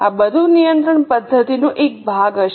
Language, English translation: Gujarati, All this will be a part of control mechanism